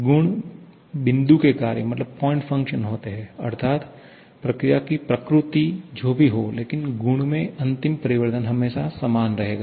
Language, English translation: Hindi, Properties are point function that is whatever maybe the nature of the process, the final change in the property will always remain the same